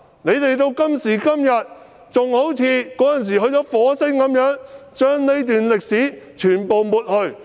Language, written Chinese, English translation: Cantonese, 他們到今天仍然好像住在火星般，要將這段歷史完全抹去。, They are still like living on Mars even up to this day intending to wipe out this part of history